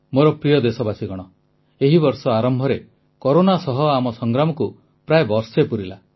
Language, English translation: Odia, the beginning of this year marks the completion of almost one year of our battle against Corona